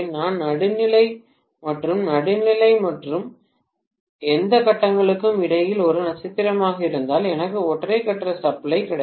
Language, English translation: Tamil, I have to ground the neutral and between the neutral and any of the phases if it a star, I will get single phase supply